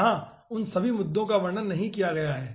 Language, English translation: Hindi, okay, here i have not described all those issues